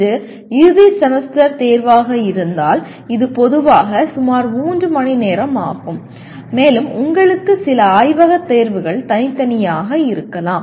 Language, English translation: Tamil, If it is end semester exam, it is generally about 3 hours and you may have some lab exam separately